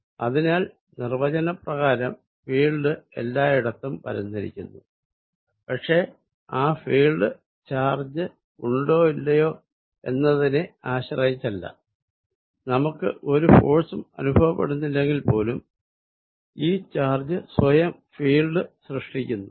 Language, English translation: Malayalam, So, by definition field exists everywhere, but that field exist independent of whether the charges there or not, even that we do not feel any force this charge by itself is creating a field